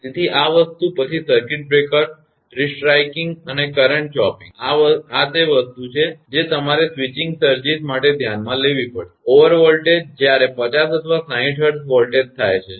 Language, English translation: Gujarati, So, this thing then circuit breaker restriking and current chopping; these are the thing that you have to consider for switching surges; over voltages, whereas the 50 or 60 hertz voltages are caused